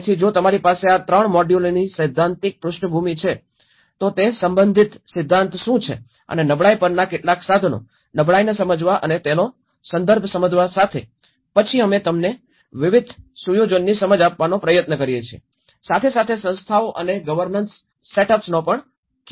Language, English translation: Gujarati, So, once if you have a theoretical background of these 3 modules, what is the theory related to it and some of the tools on vulnerability, understanding the vulnerability and with the context, then we try to give you an understanding of the setup of various organizations, the governance setups